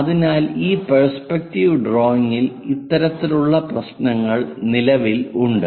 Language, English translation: Malayalam, So, this kind of problems exist for this perspective drawing